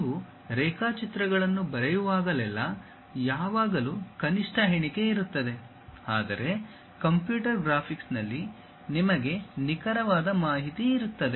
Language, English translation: Kannada, Whenever you are drawing sketches there always be least count whereas, at computer graphics you will have precise information